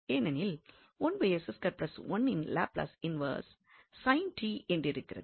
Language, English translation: Tamil, So, eventually this is the Laplace transform of sin t only